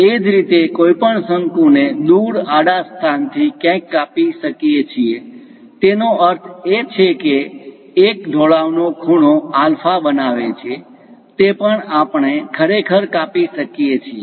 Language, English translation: Gujarati, Similarly, one can slice this cone somewhere away from that horizontal location; that means with an inclination angle alpha, that also we can really make a slice